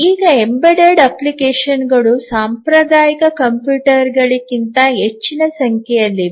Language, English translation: Kannada, Now the embedded applications vastly outnumber the traditional computers